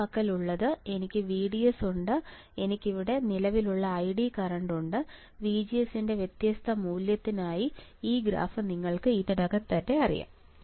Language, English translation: Malayalam, What I have I have VDS and I have current here ID current here ID now this graph you already know right for different value of VGS